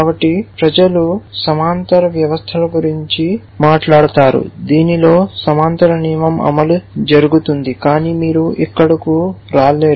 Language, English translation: Telugu, So, people talk of parallel systems in which parallel rule firing takes place, but you will not get into that here